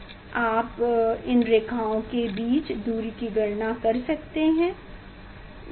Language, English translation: Hindi, what is the separation between the lines that you can calculate